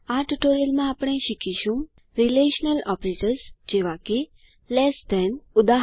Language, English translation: Gujarati, In this tutorial, we learnt Relational operators like Less than: eg